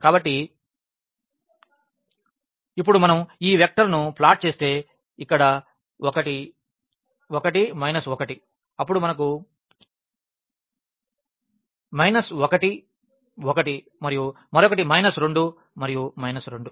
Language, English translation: Telugu, So, now if we plot these vectors the one here 1 minus 1 then we have minus 1 1 and the other one is minus 2 and minus 2